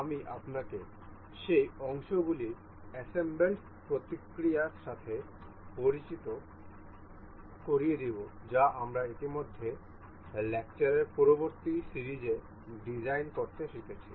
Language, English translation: Bengali, I shall introduce you with the assembling process of the parts that we have already learned to design in the previous series of lectures